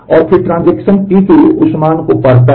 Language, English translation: Hindi, And then transaction T 2 reads that value